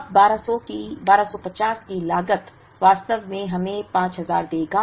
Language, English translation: Hindi, Now, this cost for 1250 would actually give us 5000